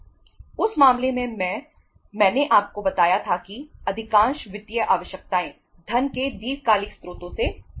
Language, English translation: Hindi, In that case I told you most of the financial requirements will be fulfilled form the long term sources of the funds